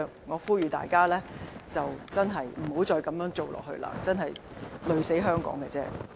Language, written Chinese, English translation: Cantonese, 我呼籲大家真的別再這樣做，這樣只會累死香港而已。, I urge everyone really not to do this anymore as this will only bring us to a dead end